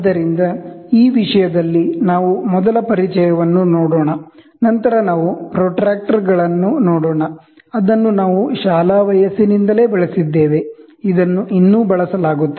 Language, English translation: Kannada, So, in this topic, we will try to see first introduction, then we will try to see protractors, which we used it right from the school age, this is still used